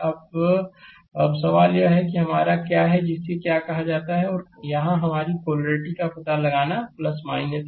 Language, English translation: Hindi, Now, now question is that this is your what you call that and detection of the here your polarity is plus minus